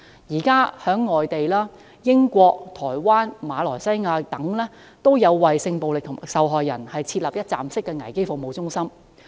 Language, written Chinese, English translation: Cantonese, 現時在外地如英國、台灣、馬來西亞等，均有為性暴力受害人設立一站式危機服務中心。, One - stop crisis support centres have already been set up for sexual violence victims in overseas places like the United Kingdom Taiwan and Malaysia